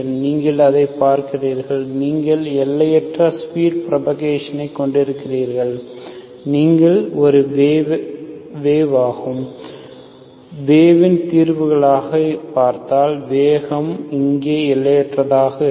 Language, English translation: Tamil, So you see that, you have infinite speed of propagation as, if you see as a wave, solution as a wave, the speed will be infinite here